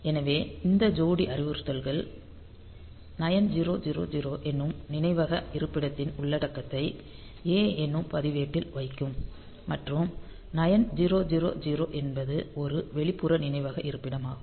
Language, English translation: Tamil, So this instruction this pair of instructions; so, they will be putting the content they will putting get the content of memory location 9000 into the A register and 9000 is an external memory; external memory location